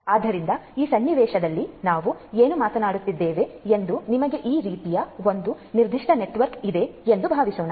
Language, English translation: Kannada, So, what we are talking about in this context is let us say that you have a certain network like this